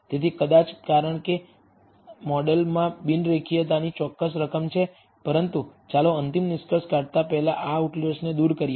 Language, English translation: Gujarati, So, maybe as there is a certain amount of non linearity in the model, but let us remove these outliers before making a final conclusion